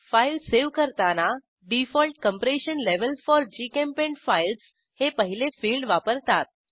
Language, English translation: Marathi, The first field, Default Compression Level For GChemPaint Files, is used when saving files